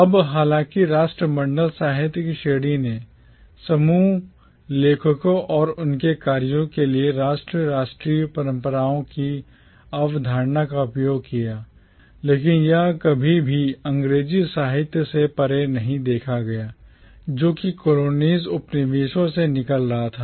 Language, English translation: Hindi, Now, though the category of Commonwealth literature used the concept of nation and national traditions to group authors and their works, it never really looked beyond the English literature that was coming out of the colonies